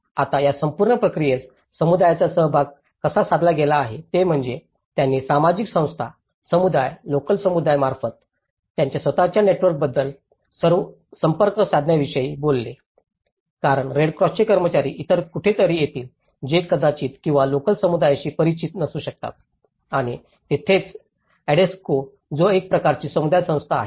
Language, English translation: Marathi, Now, how this whole process the community participation has been approached one is, they talked about approaching through the social organizations, the communities, the local communities through their own networks so, because the Red Cross personnel will be coming from somewhere else who may or may not be familiar with the local communities and that is where the Adesco which is a kind of community organizations